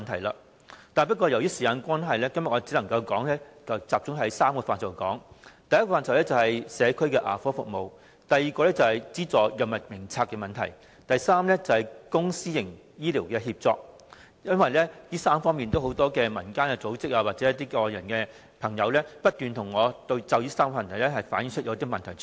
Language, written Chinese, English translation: Cantonese, 然而，由於時間關係，我今天只能集中談談3個範疇，第一個範疇是社區牙科服務，第二是《藥物名冊》所資助藥物的問題，第三是公私營醫療協作，因為民間組織或外界的朋友均不斷向我反映這3方面的問題。, However owing to the time constraint today I can only focus my speech on three areas . The first one is community dental services the second one is the issue of subsidized drugs in the Drug Formulary and the third one is public - private partnership in healthcare since community organizations and people outside have relayed to me the problems in these three areas from time to time